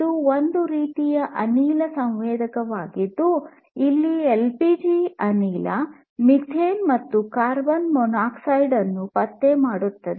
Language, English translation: Kannada, This is a gas sensor for detecting LPG gas, methane, carbon monoxide and so on